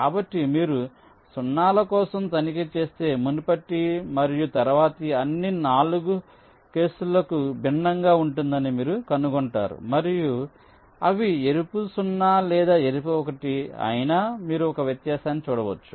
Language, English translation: Telugu, so you check for zeros also, you will find that for all the four cases the previous and the next neighbours will be distinct and you can make a distinction whether they are red, zero or red one